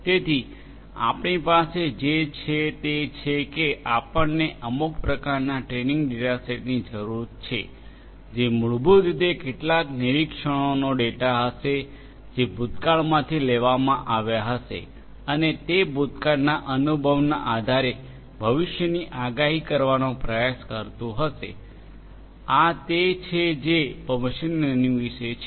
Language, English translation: Gujarati, So, what we have is that we need some kind of a training data set we need a training data set which will basically be the data of some observations that were taken from the past and based on that past experience try to predict the future this is what machine learning is all about